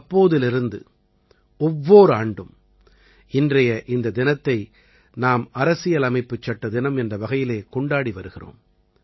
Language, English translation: Tamil, And since then, every year, we have been celebrating this day as Constitution Day